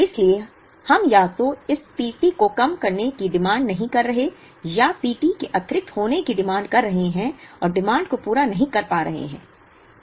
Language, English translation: Hindi, So, we are not talking of either underutilizing this P t or demand being in excess of P t and not being able to meet the demand